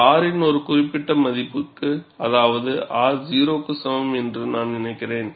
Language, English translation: Tamil, And this is for a particular value of R; I think it is for R equal to 0